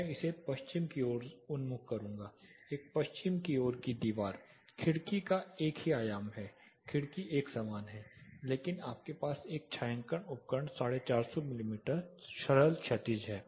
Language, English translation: Hindi, I will put it west oriented a west facing wall the window is the same dimension the window remains the same, but you have a shading device 450 mm simple horizontal